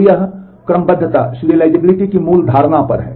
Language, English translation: Hindi, So, this is on the basic notion of serializability